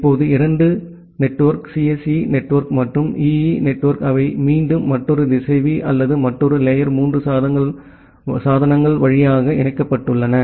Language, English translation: Tamil, Now, these 2 network, the CSE network and the EE network, they are again connected via another router or another layer 3 devices